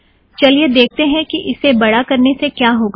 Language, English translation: Hindi, See what happens when you make it bigger